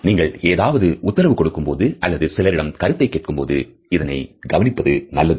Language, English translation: Tamil, It is good to look for this if you are giving someone orders or asking their opinions